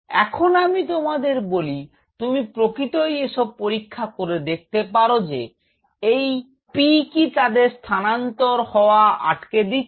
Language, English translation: Bengali, Now here I am telling you that you can actually test such things if you say this P will actually prevent their migration